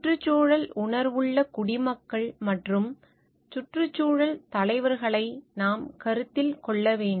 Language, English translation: Tamil, We have to take into consideration environmentally conscious citizens and environmental leaders